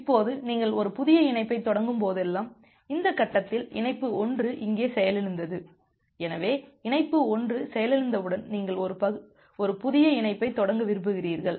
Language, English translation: Tamil, Now whenever you are initiating a new connection say at this point, connection 1 got crashed here, so once connection 1 got crashed you want to initiate a new connection